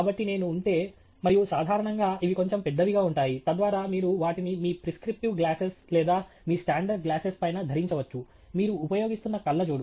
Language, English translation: Telugu, So, if I were toÉand usually these are sized slightly large, so that you can wear them on top of your prescription glasses or your standard glasses that spectacles that you may be using